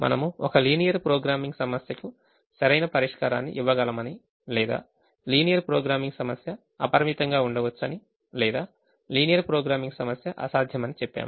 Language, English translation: Telugu, we said that we have a linear programming problem can give us an optimal solution, or a linear programming problem can be unbounded, or the linear programming problem can be infeasible